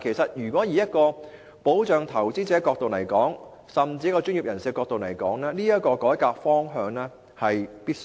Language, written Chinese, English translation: Cantonese, 可是，從保障投資者甚至專業人士的角度來說，這項改革是必須的。, However from the perspective of protecting investors or from the professional angle this reform is necessary